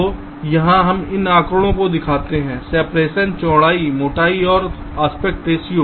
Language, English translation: Hindi, so here we show these figures: separation, width, thickness and also the aspect ratios